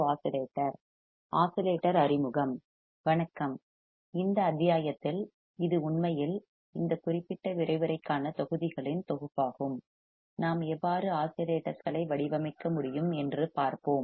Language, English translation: Tamil, Hello, in this module and it actually it is a set of modules for this particular lecture, we will see how we can design oscillators